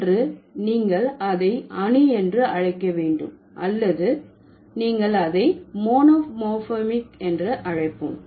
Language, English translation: Tamil, So, either you call it atomic or you call it mono monomorphic